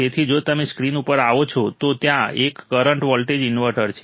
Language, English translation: Gujarati, So, if you come in the screen, there is a current to voltage converter